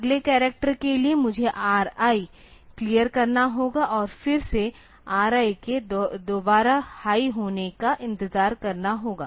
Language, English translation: Hindi, For the next character I have to clear the R I and again I have to wait for the R I to become high again